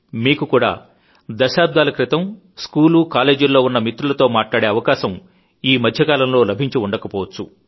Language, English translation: Telugu, It's possible that you too might not have gotten a chance to talk to your school and college mates for decades